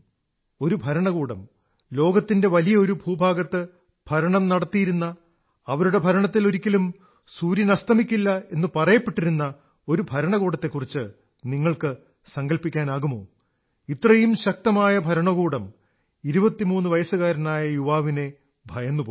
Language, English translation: Malayalam, Can you imagine that an Empire, which ruled over a huge chunk of the world, it was often said that the Sun never sets on this empire such a powerful empire was terrified of this 23 year old